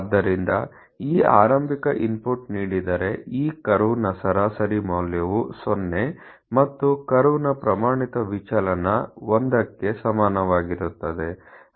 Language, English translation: Kannada, So almost of the… So, giving this initial input that the mean value of this curve 0 and standard deviation of this curve equals 1